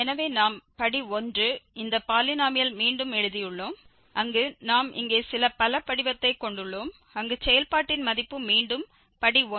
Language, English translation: Tamil, So, we have rewritten this polynomial of degree 1 in this form where we have some polynomial here the value of the function again this polynomial of degree 1 and then f x 1